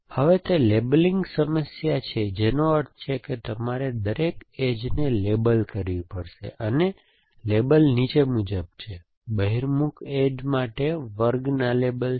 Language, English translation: Gujarati, Now, it is a labeling problem which means you have to label every edge and labels are as follows, class labels for stands for convex edge